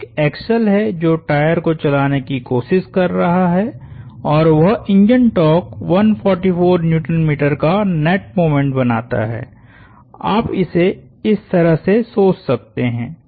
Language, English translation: Hindi, So, there is an axle that is trying to drive the tyre and that that engine torque creates a net moment of 144 Newton meters, you could you could think of it in that way